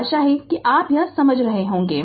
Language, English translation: Hindi, So, I hope you have understood this right